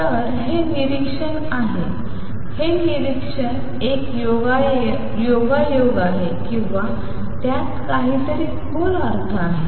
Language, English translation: Marathi, So, this is the observation is this observation a coincidence or does it have something deeper